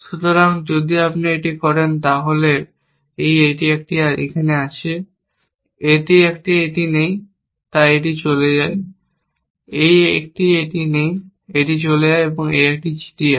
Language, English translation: Bengali, So, if you do this, then this one has this, this one does not have this, so this goes away, this one has does not have this of this goes away this one has this